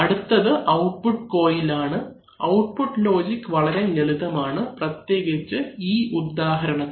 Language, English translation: Malayalam, So now next, we will have the output coil, output logic is very simple, very, very simple especially in this case